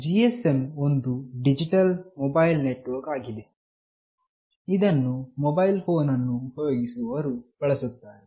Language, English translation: Kannada, GSM is a digital mobile network that is widely used by mobile phone users